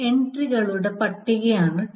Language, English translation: Malayalam, So, TL is a list of entry